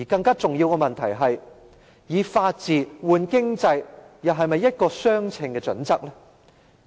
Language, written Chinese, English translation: Cantonese, 更重要的問題是，以法治換經濟又是否一個相稱的準則？, A more serious problem is whether it is proportionate to exchange the rule of law for economic benefits